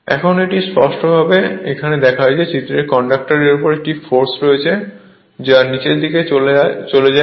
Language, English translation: Bengali, Now, this clearly shows that conductor in figure has a force on it which tends to move in downward